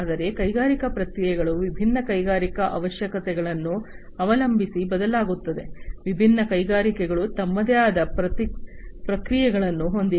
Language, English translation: Kannada, So, industrial processes are varied depending on different industrial requirements, different industries have their own set of processes